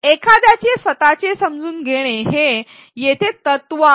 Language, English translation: Marathi, The principle here is that to construct one’s own understanding